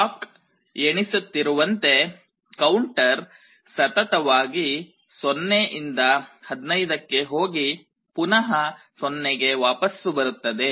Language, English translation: Kannada, As the clock counts the counter will continuously go from 0 to 15 and then again it will go back to 0